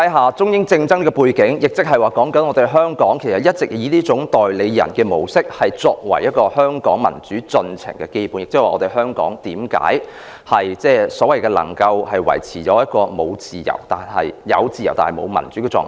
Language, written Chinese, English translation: Cantonese, 在這樣的中英政治爭拗的背景下，香港一直以這種代理人的模式運作，作為香港民主進程的基本，這亦是為何香港能夠維持一種所謂"有自由，但沒有民主"的狀況。, Against the background of political wrangling between China and the United Kingdom Hong Kong has all along been operating as an agent . Basically this forms the basis of democratic development in Hong Kong and explains why Hong Kong maintains a status of having freedom without democracy